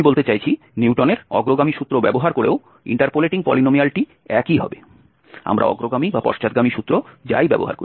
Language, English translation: Bengali, I mean using Newton's forward formula the interpolating polynomial will be the same, whether we use forward or backward